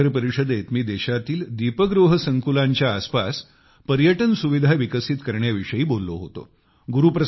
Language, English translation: Marathi, At this summit, I had talked of developing tourism facilities around the light house complexes in the country